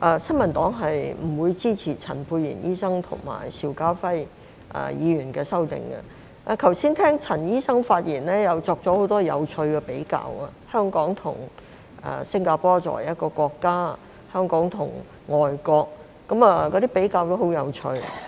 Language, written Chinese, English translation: Cantonese, 新民黨不支持陳沛然醫生及邵家輝議員的修正案，我剛才聆聽陳醫生的發言，他作出了很多有趣的比較，他說香港及新加坡作為一個國家，香港跟外國的比較也很有趣。, I have just listened to Dr CHANs speech . He made a lot of interesting comparisons saying Hong Kong and Singapore are countries . The comparisons between Hong Kong and foreign countries are also very interesting